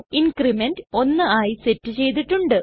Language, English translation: Malayalam, The increment is already set as 1